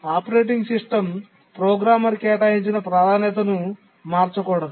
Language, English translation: Telugu, The operating system should not change a programmer assigned priority